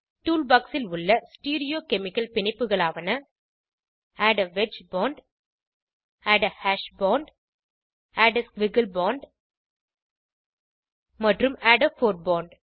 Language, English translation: Tamil, Stereochemical bonds available in the tool box are, * Add a wedge bond, * Add a hash bond, * Add a squiggle bond * and Add a fore bond